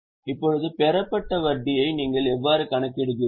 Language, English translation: Tamil, Now to begin with how do you account for interest received